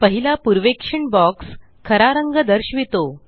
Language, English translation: Marathi, The first preview box displays the original color